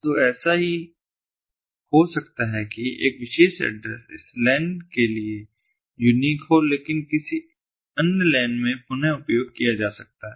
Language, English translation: Hindi, so it might so happen that a particular address might be unique to this lan but may be reused in another lan